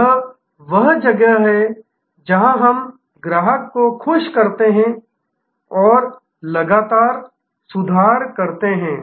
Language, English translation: Hindi, This is where we produce customer delight and improve continuously